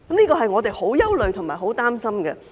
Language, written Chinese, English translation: Cantonese, 這是我們相當憂慮和擔心的。, We are quite worried and concerned about this